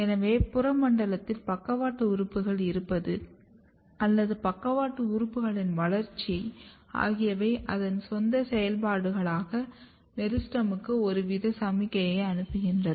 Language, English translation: Tamil, So, this tells that the presence of lateral organ or development of lateral organ in the peripheral zone is sending some kind of signal to the meristem for its own activity